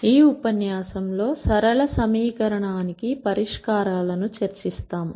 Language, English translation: Telugu, In this lecture, we will discuss solutions to linear equation